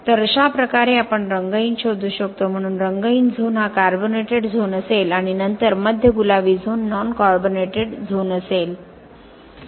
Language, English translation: Marathi, So this is how we could find the colorless and then, so the colorless zone will be the carbonated zone and then the central pink zone will be the non carbonated zone